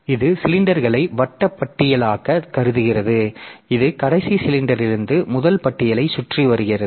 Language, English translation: Tamil, So, it treats cylinders as circular list that wraps around from the last cylinder to the first one